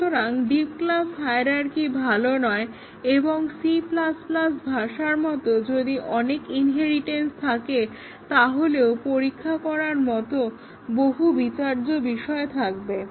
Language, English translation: Bengali, So, a deep class hierarchy is not good and also if we have multiple inheritances as in a language such as C++, then we might have too many contexts to test